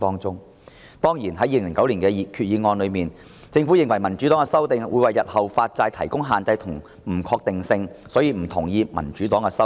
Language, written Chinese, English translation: Cantonese, 就2009年的決議案，政府認為民主黨的修訂會為日後發債帶來限制及不確定性，所以不同意民主黨的修訂。, Insofar as the 2009 Resolution is concerned the Government did not agree with the amendments proposed by the Democratic Party as it considered the amendments would bring restrictions and uncertainties to future bond issuances